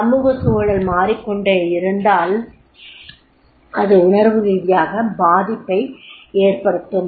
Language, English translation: Tamil, And if the social environment keeps on changing, it is emotionally affect